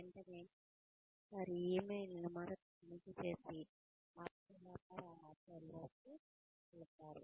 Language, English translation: Telugu, Immediately, check their emails first thing, and then move on to more orders of business